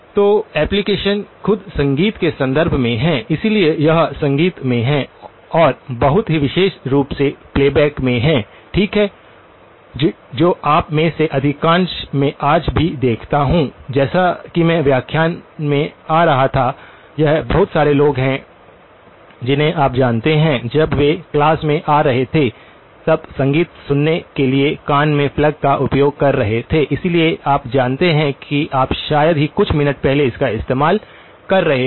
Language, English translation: Hindi, So, the application itself is in the context of music, so it is in the music and very specifically in playback, okay which most of you I see today even as I was coming to the lecture, it is a lot of people you know have music plugged into their ears while they are coming to class, so you know you probably use it hardly a few minutes back